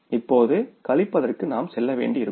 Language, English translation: Tamil, Now we will have to for subtracting